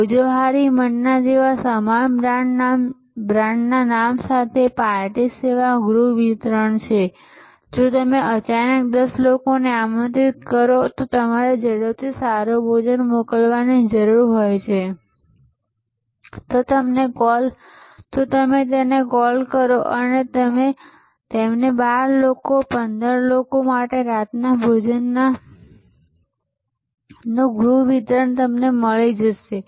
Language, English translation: Gujarati, Similarly, there can be a new service category with the same brand name like Bhojohori Manna now has a party service home delivery for if you suddenly invite 10 people and you need to quickly russell up a good meal you call them up and you get delivery home delivery of a dinner for 12 people 15 people or whatever